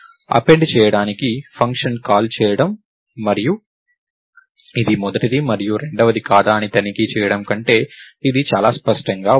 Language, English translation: Telugu, This is much cleaner than making function calls to append and checking whether this is the first and second and so, on